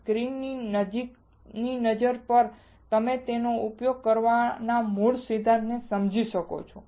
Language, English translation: Gujarati, On a closer look to the screen, you can understand the basic principle of using the same